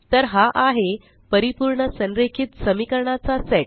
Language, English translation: Marathi, So there is a perfectly aligned set of equations